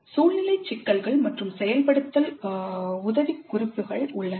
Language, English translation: Tamil, There are situational issues and implementation tips